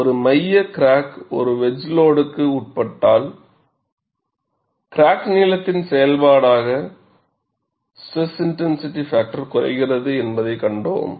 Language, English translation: Tamil, If a center crack is subjected to a wedge load, we saw that SIF decreases as a function of crack length